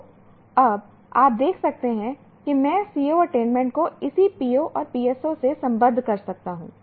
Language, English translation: Hindi, So now you can see I can somehow associate the CO attainment to corresponding POS and PSOs